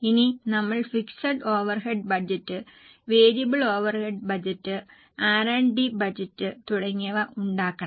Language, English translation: Malayalam, We have to make fixed overheads budget, variable overheads budget, R&D budget and so on